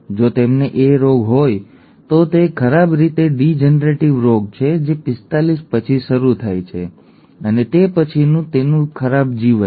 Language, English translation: Gujarati, If they have HuntingtonÕs disease then it is a badly degenerative disease that sets in after 45 and its bad life after that